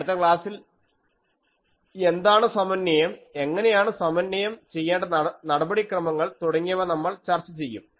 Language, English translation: Malayalam, The next lecture, we will go to that what is the synthesis, how to do the attempt the synthesis procedure that we will discuss